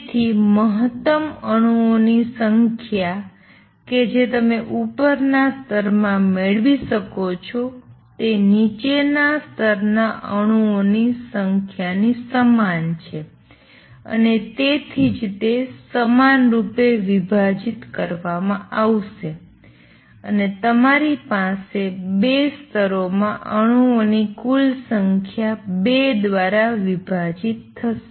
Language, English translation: Gujarati, So, maximum number of atoms that you can have in the upper level is equal to the number of atoms in the ground level and that is so they will be divided equally and you will have total number of atoms divided by 2 in the 2 levels